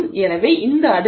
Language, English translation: Tamil, So, you are looking at values of 0